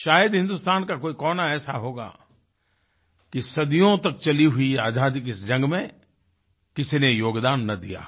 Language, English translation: Hindi, There must've been hardly any part of India, which did not produce someone who contributed in the long freedom struggle,that spanned centuries